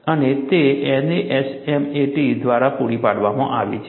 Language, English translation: Gujarati, This is also possible in NASFLA